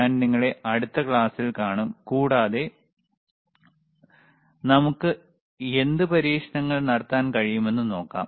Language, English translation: Malayalam, So, I will see you in the next class, and let us see what experiments we can perform,